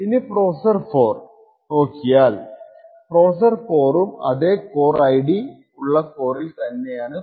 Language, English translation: Malayalam, Now if you look at the processor 4 so processor 4 is also on the same for core with the same core ID